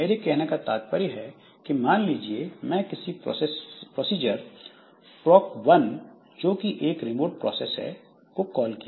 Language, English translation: Hindi, So, what I mean is that suppose I have given a call to a procedure, say, proc 1, but this proc 1 happens to be a remote process